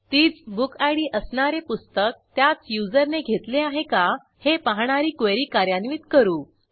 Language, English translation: Marathi, We execute the query to check if a book with the same bookid is issued by the same user